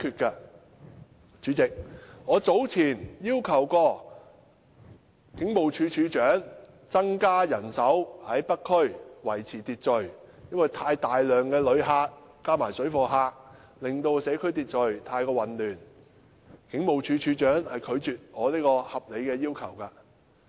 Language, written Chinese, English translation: Cantonese, 代理主席，我早前要求警務處處長增加人手在北區維持秩序，因為大量旅客加上水貨客，令社區秩序混亂，但警務處處長拒絕我這項合理要求。, Deputy President I have earlier asked the Commissioner of Police to deploy more police officers to maintain order in North District because a large number of visitors and parallel traders have caused social disorder . However the Commissioner of Police has rejected my reasonable request